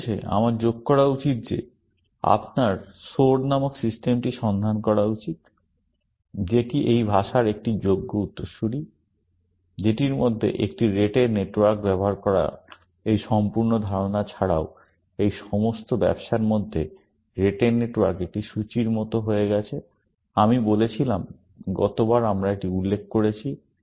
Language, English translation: Bengali, Finally, I should add that you should look up system called Soar, which is a successor of this language, which amongst, apart from this whole idea of using a Rete network; the Rete network has become like a fixture in all these business, I said, last time we have mentioned that